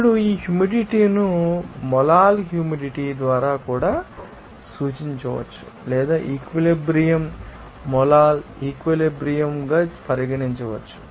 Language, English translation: Telugu, Now, this humidity also can be represented by molal humidity or saturation can be regarded as molal saturation